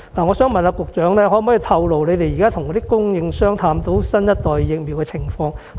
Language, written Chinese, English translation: Cantonese, "我想問局長，可否透露政府與供應商探討新一代疫苗的情況？, May I ask the Secretary whether she can disclose the progress of the Governments discussions with the suppliers about the new generation vaccines?